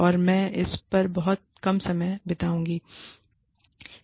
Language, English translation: Hindi, And, i will spend, little bit of time, on this